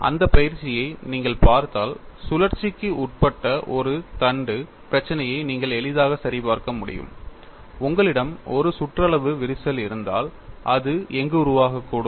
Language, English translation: Tamil, And if you look at that exercise, you can easily verify for the problem of a shaft subjected to torsion, if you have a circumferential crack developed, where it could develop